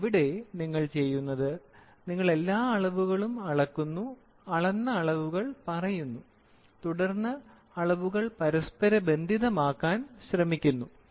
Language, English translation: Malayalam, But here, what we do is, we physically measure we measure all quantities and we tell measure all quantities and then, we try to talk about we try to and correlate the measurement with all